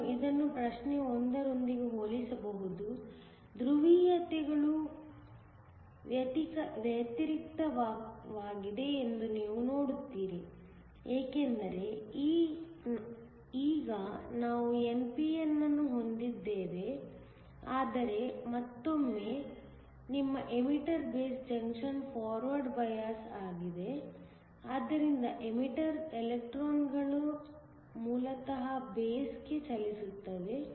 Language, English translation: Kannada, You can compare this with problem 1, you will essentially see that the polarities are reversed, because now we have an n p n, but once again your emitter based junction is forward biased, so that electrons from the emitter basically move to the base